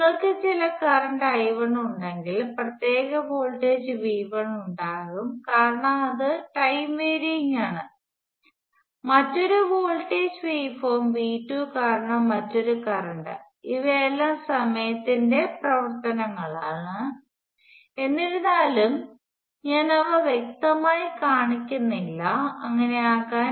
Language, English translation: Malayalam, And if you have certain current I 1, because of particular voltage V 1 which is varying with timing in some way; and another current because of another voltage way form V 2, these are all functions of time, all though, I am not showing them explicitly to be so